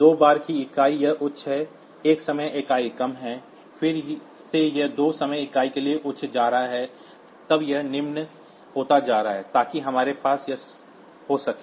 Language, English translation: Hindi, Two time unit, it is high; one time unit is low; then again it is going high for two time units; then it is becoming low, so that we can have it